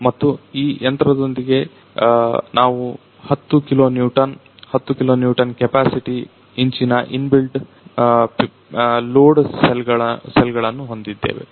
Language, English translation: Kannada, And with this machine we have inbuilt load cells of 10 kilo newton 10 kilo newton capacity inch